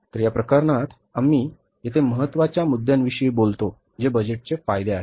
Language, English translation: Marathi, So, in this case, we talk about the important points here that advantages of the budgets